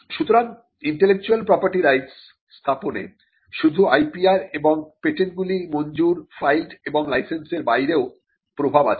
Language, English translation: Bengali, So, setting up intellectual property rights has an effect beyond just the IPR and the patents that are granted, filed and licensed